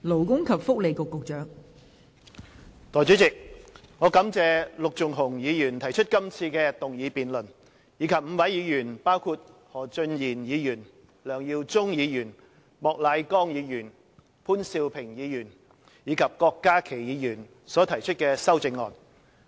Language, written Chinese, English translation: Cantonese, 代理主席，我感謝陸頌雄議員提出今次的議案辯論，以及5位議員，包括何俊賢議員、梁耀忠議員、莫乃光議員、潘兆平議員及郭家麒議員提出修正案。, Deputy President I would like to thank Mr LUK Chung - hung for proposing this motion debate and five other Members including Mr Steven HO Mr LEUNG Yiu - chung Mr Charles Peter MOK Mr POON Siu - ping and Dr KWOK Ka - ki for proposing the amendments